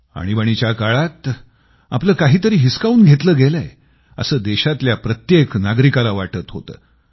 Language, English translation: Marathi, During Emergency, every citizen of the country had started getting the feeling that something that belonged to him had been snatched away